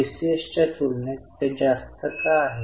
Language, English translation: Marathi, Why it is high compared to that in TCS